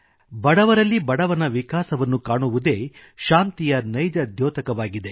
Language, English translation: Kannada, Development of the poorest of the poor is the real indicator of peace